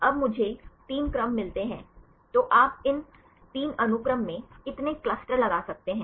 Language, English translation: Hindi, Now I get 3 sequences; so how many clusters you can put in these three sequences